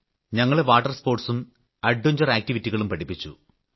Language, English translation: Malayalam, It was here that we learnt water sports and adventure activities